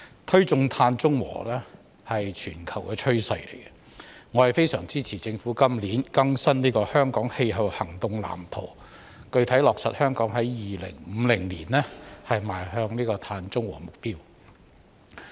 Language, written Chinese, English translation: Cantonese, 推進碳中和是全球的趨勢，我非常支持政府今年更新《香港氣候行動藍圖》，具體落實香港在2050年邁向碳中和的目標。, Promoting carbon neutrality is a global trend and I very much support the Government in updating the Hong Kong Climate Action Plan this year to specifically set out the goal of moving towards carbon neutrality in 2050 in Hong Kong